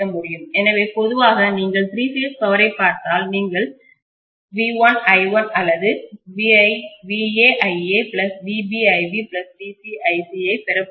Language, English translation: Tamil, So normally if you look at the three phase power you are going to have V1 i1 or Va ia plus Vb ib plus Vc ic